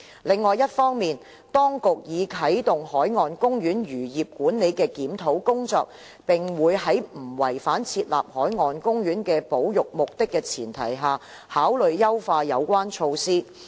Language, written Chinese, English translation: Cantonese, 另一方面，當局已啟動海岸公園漁業管理的檢討工作，並會在不違反設立海岸公園的保育目的前提下，考慮優化有關措施。, On the other hand the authorities have launched a review exercise on the fisheries management measures of marine parks and they will consider enhancing such measures on the premise of not compromising the conservation objectives of marine parks